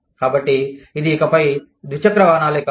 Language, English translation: Telugu, So, it is no longer, two wheelers